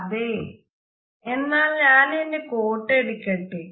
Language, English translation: Malayalam, Let me get my coat